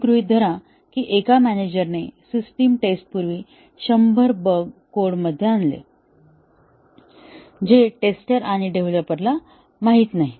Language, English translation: Marathi, Assume that, a manager, before system testing, introduced 100 bugs into the code, unknown to the testers and developers